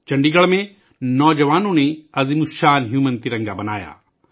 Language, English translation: Urdu, In Chandigarh, the youth made a giant human tricolor